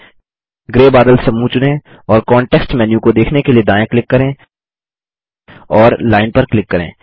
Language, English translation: Hindi, Select the gray cloud group and right click to view the context menu and select Area